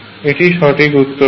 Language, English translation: Bengali, That is the right answer